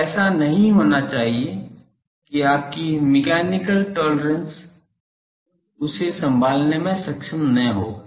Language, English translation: Hindi, So, that should not be such that your mechanical tolerance would not be able to handle that